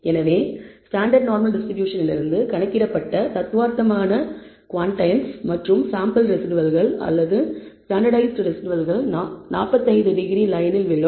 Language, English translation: Tamil, So, the theoretical quantiles computed from the standard normal distribution and the quantiles computed from the sample residuals, standardized residuals, the fall on the 45 degree line